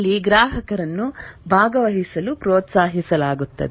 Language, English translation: Kannada, Here the customer is encouraged to participate